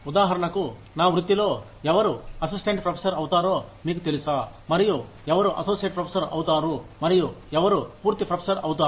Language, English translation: Telugu, For example, in my profession, how do we decide, you know, who becomes an assistant professor, and who becomes an associate professor, and who becomes a full professor